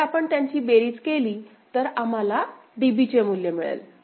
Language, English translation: Marathi, So, if you just sum them up right, we’ll get the value of DB